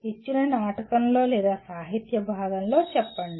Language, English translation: Telugu, Let us say in a given drama or in a literature piece